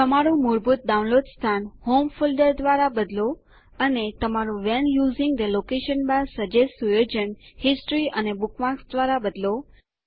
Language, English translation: Gujarati, Change your default download location to Home Folder and Change your When using the location bar, suggest: setting to History and Bookmarks